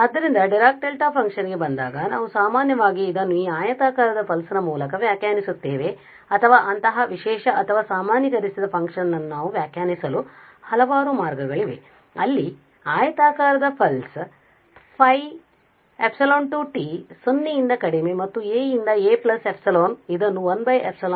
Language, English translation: Kannada, So, coming to the Dirac Delta function we usually define through this rectangular pulse or there are several ways we can define such specialized or generalized function where with the help of this rectangular pulse so we define this rectangular pulse phi epsilon a as 0 if t is less than a and between this a to a plus epsilon we define as 1 over epsilon